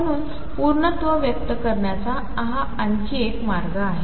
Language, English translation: Marathi, So, this is another way of expressing completeness